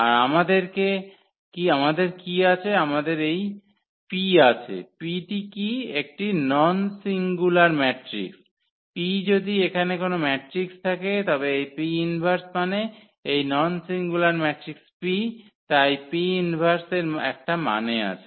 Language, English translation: Bengali, And what to we have to we this P what is the P before some non singular matrix P, if there exists a matrix here this P inverse I mean, this non singular matrix P therefore, that P inverse make sense